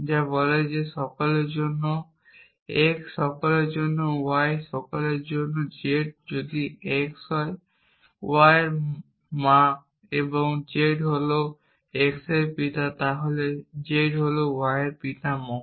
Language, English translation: Bengali, I could have a role of this kind which says that for all x for all y for all z if x is the mother of y and z is the father of x then z is the grandfather of y